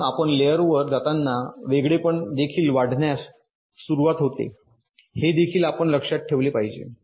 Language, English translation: Marathi, so as you move up the layer the separation also starts to increase